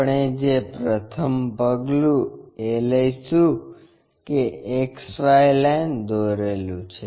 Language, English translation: Gujarati, The first step what we have to follow is draw an XY line